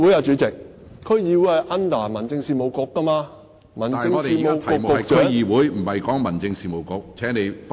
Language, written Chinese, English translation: Cantonese, 主席，區議會是由民政事務局負責的，而民政事務局局長......, President DCs are in the brief of the Home Affairs Bureau whereas the Secretary for Home Affairs